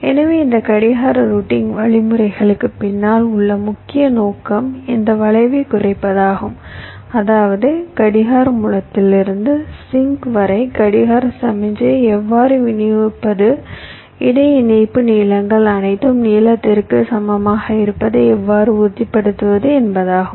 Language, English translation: Tamil, so the main objective behind these clock routing algorithms is to minimize this skew, which means how to distribute my clock signal such that, from the clock source down to the sink, how i can ensure that my inter connection lengths are all equal in length